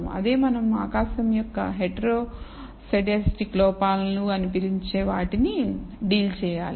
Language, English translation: Telugu, That is the way we have to deal with what we call heteroscedastic errors of the sky